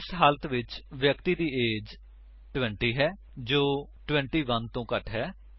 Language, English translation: Punjabi, In this case, the persons age is 20 which is less than 21